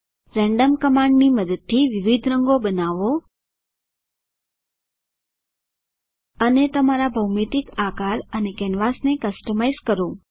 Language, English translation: Gujarati, Using the random command create various colors and Customize your geometric shapes and canvas